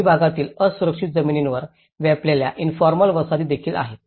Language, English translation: Marathi, There are also slumps the informal settlements which has occupied in unsafe lands in the urban setups